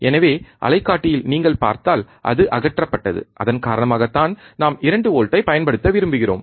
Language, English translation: Tamil, So, if you see in the oscilloscope, it is stripped, that is the reason that we want to apply 2 volts